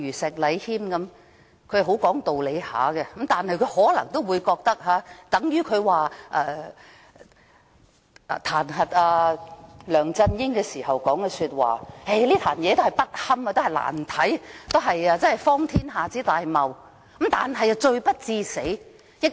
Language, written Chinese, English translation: Cantonese, 石禮謙議員很講道理，但他就彈劾梁振英的議案發言時說，這件事是"不堪、難看、荒天下之大謬，但罪不至死"。, Mr Abraham SHEK is very reasonable but when he spoke on the motion to impeach LEUNG Chun - ying he said that the incident was awfully appalling and absurd but not serious enough to have someone beheaded